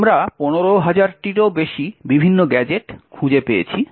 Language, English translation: Bengali, We find over 15000 different gadgets